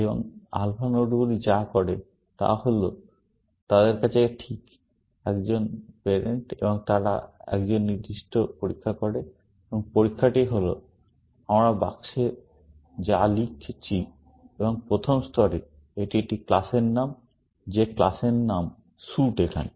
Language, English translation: Bengali, And what alpha nodes do is that they have exactly, one parent and they do a certain test, and the test is what we are writing in the box, and in the first level, it is a class name; that the class name is suit here